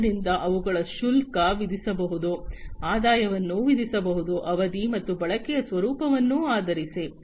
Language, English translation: Kannada, So, they can be charged, the revenues can be charged, based on the duration, and the nature of usage